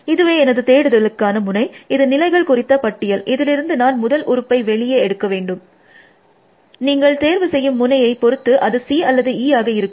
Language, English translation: Tamil, So, this is I mean, this is my search node, it is a list of states, I have to extract the first element from this, which is C or E depending on which node I pick